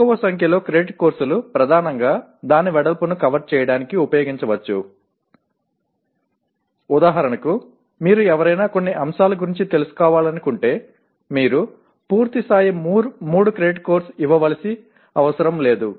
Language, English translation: Telugu, The smaller number of credit courses can be mainly used to cover the breadth of the, for example if you want someone to be want to be familiar with certain aspect you do not have to give a full fledged 3 credit course